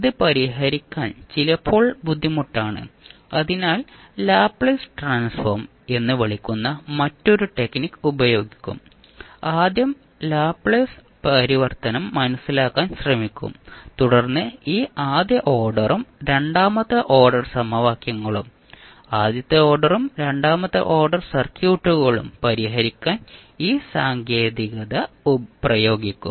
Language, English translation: Malayalam, It is sometimes difficult to solve, so we will use another technic called laplace transform and we will try to understand first the laplace transform and then we will apply the technic to solve this first order and second order equations and first order and second order circuits again